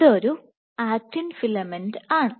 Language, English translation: Malayalam, So, this is an actin filament and a monomer